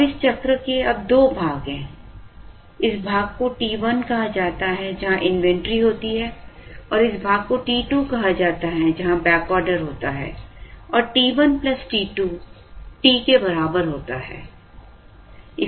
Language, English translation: Hindi, Now, this cycle now has two parts, this part is called T 1, where there is inventory and there is this part called T 2, where there is back order and T 1 plus T 2 is equal to T